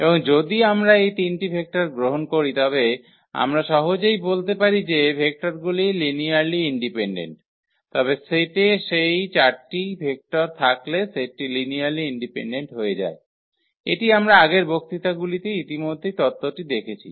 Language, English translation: Bengali, And but if we take those 3 vectors we can easily figure out their those vectors are linearly independent, but having those 4 vectors in the set the set becomes linearly dependent, that also we can observe with the theory we have already developed in previous lectures